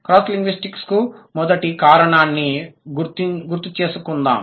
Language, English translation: Telugu, Let's recall what was the first reason of cross linguistic similarity